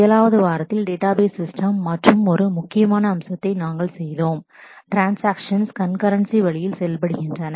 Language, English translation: Tamil, In week 7, we did another critical aspect of database systems that is how to make transactions work concurrently